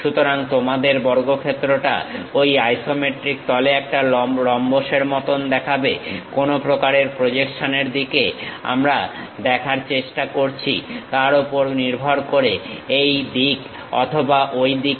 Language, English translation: Bengali, So, your square on that isometric plane looks like a rhombus, either this way or that way based on which kind of projections we are trying to look at